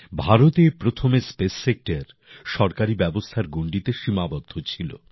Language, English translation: Bengali, Earlier in India, the space sector was confined within the purview of government systems